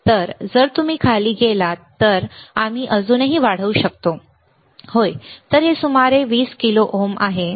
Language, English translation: Marathi, So, if you go down can we go down and can we see still, yes, so, this is around 20 kilo ohms